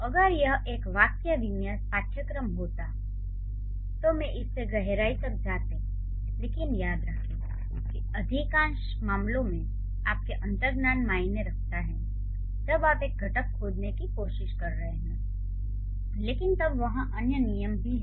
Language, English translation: Hindi, So, had it been a syntax course, I would have delved deep into it, but just remember, in most of the cases your intuition matters when you are trying to find out the constituents